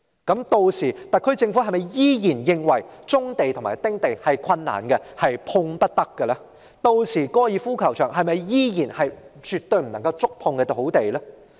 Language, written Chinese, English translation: Cantonese, 屆時，特區政府是否依然認為收回棕地及丁地是困難的，是碰不得的？屆時，高爾夫球場是否仍然是絕對不能觸碰的土地呢？, May I ask the Government whether it will still consider the resumption of brownfield sites and small house sites difficult and that those sites are untouchable by then?